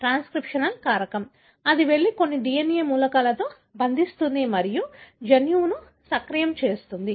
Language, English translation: Telugu, Is a transcriptional factor; it goes and binds to certain DNA elements and activate the gene